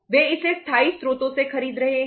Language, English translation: Hindi, They are buying it from permanent sources